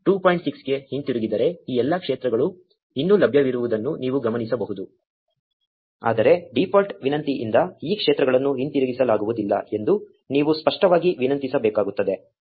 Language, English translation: Kannada, 6, you notice that all these fields are still available, but you need to explicitly request for these fields they are not returned by the default request